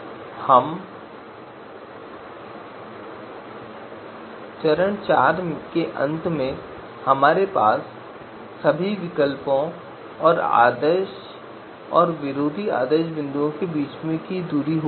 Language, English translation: Hindi, So now at the end of you know step four we will have the distances from all the alternatives between all the alternatives and ideal and anti ideal points